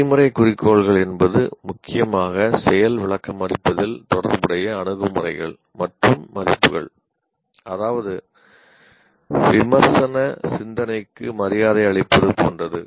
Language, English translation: Tamil, And procedural goals are again attitudes and values concerned mainly with demonstrating, like respect for critical thinking